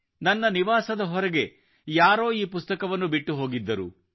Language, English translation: Kannada, Someone had left this book for me outside my residence